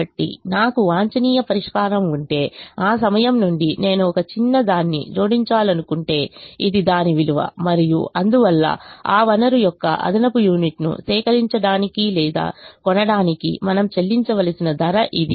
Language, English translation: Telugu, so if, if i have an optimum solution, from that point onwards, if i want to add a small delta, this is the worth and therefore this is the price that we have to pay to procure or buy an extra unit of that resource